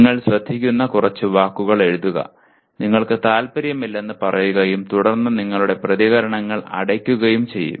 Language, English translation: Malayalam, Write a few words that you listen to, you may say you are not interested and then you shut your responses